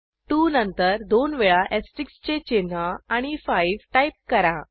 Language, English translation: Marathi, Type 2 followed by the asterisk symbol twice and then 5 and press Enter